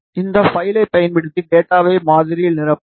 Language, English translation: Tamil, We will fill the data using this file into our model